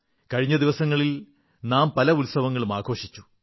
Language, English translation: Malayalam, We celebrated quite a few festivals in the days gone by